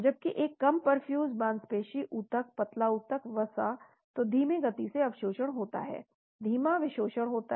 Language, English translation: Hindi, Whereas a poorly perfused muscle, tissue lean tissue, fat , so there is slow absorption, slow desorption